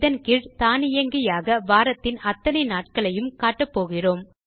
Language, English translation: Tamil, Under this, we will display the seven days of the week automatically